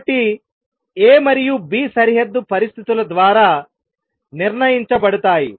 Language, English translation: Telugu, So, A and B are fixed by the boundary conditions